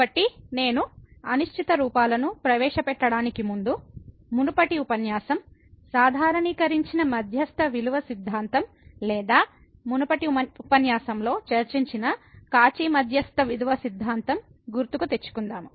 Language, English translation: Telugu, So, before I start to indeterminate forms let me just introduce your recall from the previous lecture, the generalized mean value theorem or the Cauchy mean value theorem which was discussed in previous lecture